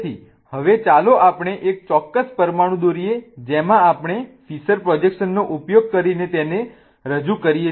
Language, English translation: Gujarati, So, now let's place a particular molecule and draw a particular molecule in which we are representing it using a Fisher projection